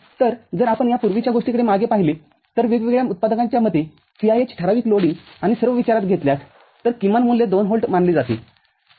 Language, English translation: Marathi, So, if we look back this previous one, so VIH according to the manufacturer for different considering the typical loading and all; so the value is considered for the minimum case is 2 volt, ok